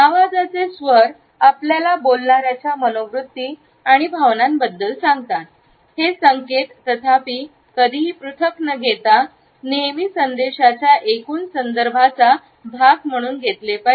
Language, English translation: Marathi, Tone of the voice tells us about the attitudes and feelings of the speaker, these signals however should always be taken as a part of the total context of the message and never in isolation